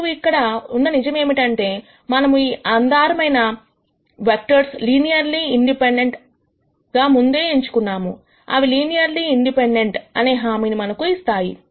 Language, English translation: Telugu, And the fact that we have chosen these basis vectors as linearly independent already, assures us that those are linearly independent